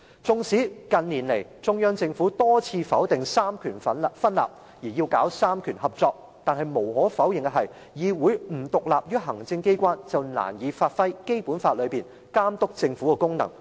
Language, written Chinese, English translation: Cantonese, 縱使近年中央政府多次否定"三權分立"，要搞"三權合作"，但無可否認的是，議會不獨立於行政機關便難以發揮《基本法》內監督政府的功能。, Despite repeated negations of the separation of powers in Hong Kong and the call for cooperation of the three powers of the Central Government in recent years it is undeniable that when the legislature is not independent of the executive it can hardly fulfil its functions under the Basic Law of overseeing the Government